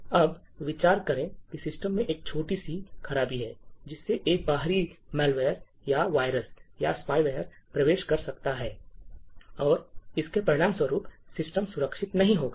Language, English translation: Hindi, So, there is small flaw by which an external malware or a virus or spyware could enter into this particular box and would result in the system being not secure